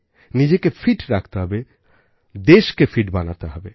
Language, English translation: Bengali, We have to keep ourselves fit and the nation has to be made fit